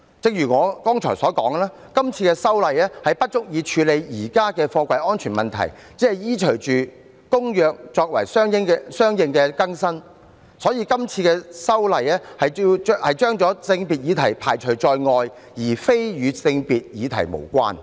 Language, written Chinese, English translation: Cantonese, 正如我剛才提到，今次修例不足以處理現時貨櫃安全的問題，只是依隨《公約》作相應更新，因此今次修例把性別議題排除在外，而非與性別議題無關。, As I have mentioned just now the proposed amendments are inadequate to address the existing problem with container safety . The Government is only making consequential updates to local legislation according to the Convention . The proposed amendments have excluded the gender issue but it does not mean that the Bill has no gender implication